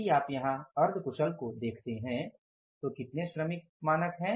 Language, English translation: Hindi, If you look at the semi skilled here, how many workers are there